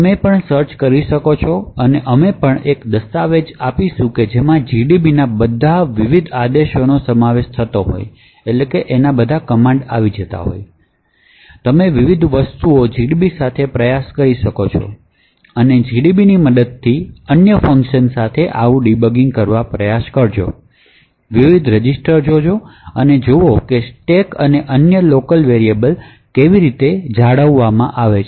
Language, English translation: Gujarati, So you could also search and we will also try to share a document which comprises of all the various commands the gdb has and you can actually try various things with gdb and also try to do such debugging with various other programs using gdb, look at the various registers and see how the stack and other local variables are maintained, thank you